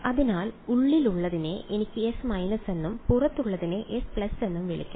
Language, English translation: Malayalam, So, the inside one I can call S minus and the outside one I can call S plus right